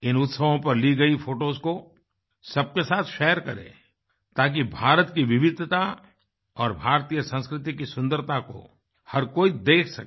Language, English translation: Hindi, Doo share the photographs taken on these festivals with one another so that everyone can witness the diversity of India and the beauty of Indian culture